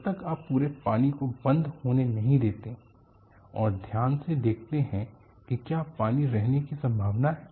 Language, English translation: Hindi, So, unless you allow all these water to drain off and carefully look at whether there is a possibility of entrapment of water